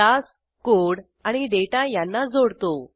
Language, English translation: Marathi, Class links the code and data